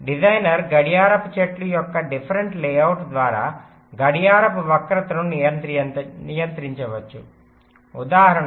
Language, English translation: Telugu, designer can control a clock skew by deferent layout of the clock tree, for example